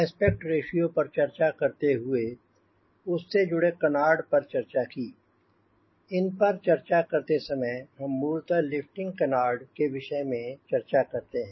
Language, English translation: Hindi, when you are talking about the aspect ratio, when you talking about aspect ratio, canard, that linkage is primarily we are talking about lifting canard